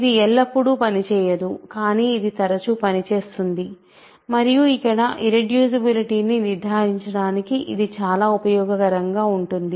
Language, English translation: Telugu, It does not always work, but it works often and it is very useful to conclude that, irreducibility here